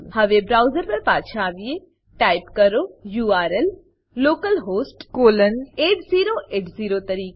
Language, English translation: Gujarati, Now, come back to the browser Type the URL as localhost colon 8080